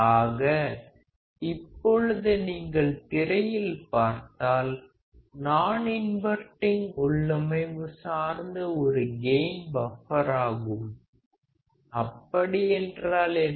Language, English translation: Tamil, So, if you can see on the screen; what we see is a unity gain buffer based on the non inverting configuration; what does that mean